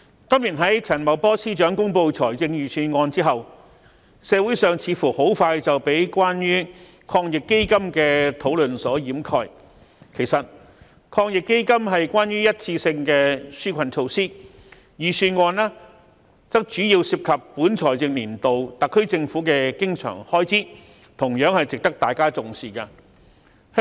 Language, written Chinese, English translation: Cantonese, 主席，陳茂波司長公布本年度財政預算案後，社會上似乎很快便被關於防疫抗疫基金的討論所掩蓋，其實抗疫基金是一次性紓困措施，預算案則主要涉及本財政年度特區政府的經常開支，同樣值得大家重視。, President after Financial Secretary Paul CHAN announced the Budget this year discussion on the Anti - epidemic Fund AEF appears to have quickly dominated the community . While AEF provides one - off relief the Budget is mainly concerned with the recurrent spending of the Hong Kong SAR Government for the current financial year . Both of them warrant our attention